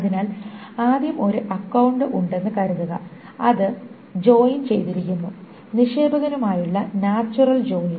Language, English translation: Malayalam, So first of all, suppose there is a account that is joined, natural joint with depositor